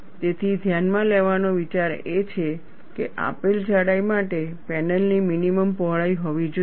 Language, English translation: Gujarati, So, the idea to notice, for a given thickness, there has to be a minimum panel width